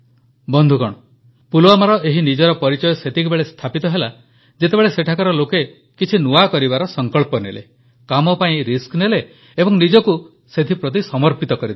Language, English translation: Odia, Pulwama gained this recognition when individuals of this place decided to do something new, took risks and dedicated themselves towards it